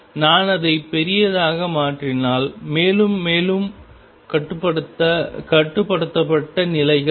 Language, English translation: Tamil, If I make it larger and larger more and more bound states will come